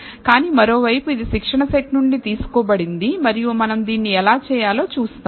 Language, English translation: Telugu, But on the other hand, it is drawn from the training set and we will see how we do this